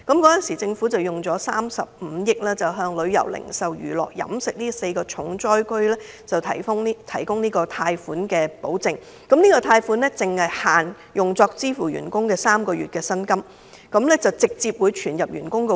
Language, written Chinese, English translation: Cantonese, 當時，政府撥出35億元，為旅遊、零售、娛樂及飲食這4個重災行業提供貸款保證，有關貸款只限用作支付員工的3個月薪酬，而且款項會直接存入員工帳戶。, At that time the Government allocated 3.5 billion to provide guarantee for loans extended to the four worst - hit industries including the tourism retail entertainment and restaurant industries and those loans were specifically for the payment of three months salary directly to the payroll accounts of employees